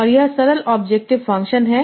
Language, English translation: Hindi, And this is the simple objective function